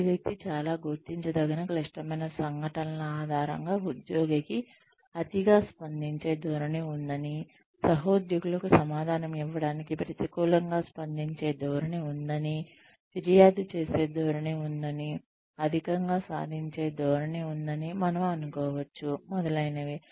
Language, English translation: Telugu, On the basis of these individual, very noticeable critical incidents, we can assume that, the employee has a tendency to over react, has a tendency to respond negatively to answer colleagues, has a tendency to complain, has a tendency to over achieve, etcetera